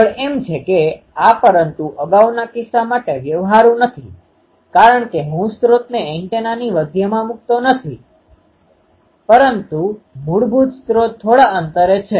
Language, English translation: Gujarati, The next one is, but this is not practical the earlier case that was not practical because I cannot put the source into the center of the antenna basically source is at a distance